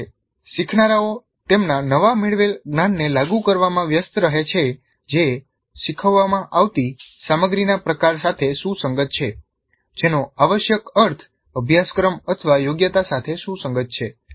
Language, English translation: Gujarati, So when learners engage in application of their newly acquired knowledge that is consistent with the type of content being taught which essentially means consistent with the CBO or competency